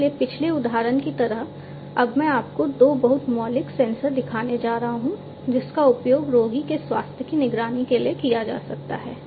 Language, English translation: Hindi, So, over here like the previous example, I am now going to show you two very fundamental sensors that can be used for monitoring the health of the patient